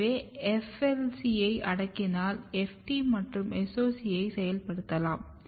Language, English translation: Tamil, So, FLC is a negative regulator of FT and SOC1